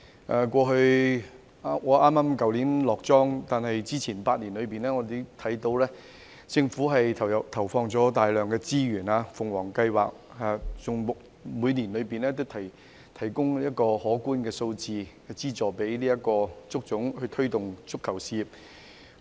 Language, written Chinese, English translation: Cantonese, 我在去年離任，但之前8年，我看到政府投放大量資源，例如，政府就足總的"鳳凰計劃"，每年提供可觀的資助，推動足球事業。, I left HKFA last year but in the past eight years I was aware that the Government had put in a lot of resources . For example the Government provided considerable funding each year under the Phoenix Project of HKFA to promote football